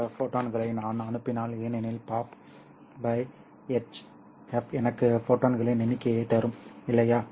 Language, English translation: Tamil, So if I send in this many number of photons because optical power divided by HF will give me the number of photons, right